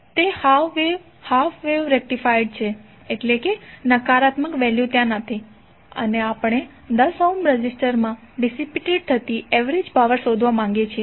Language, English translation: Gujarati, It is half wave rectified means the negative value is not there and we want to find the average power dissipated in 10 ohms resistor